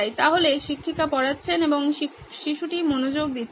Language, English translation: Bengali, So, the teacher is teaching and this guy is not paying attention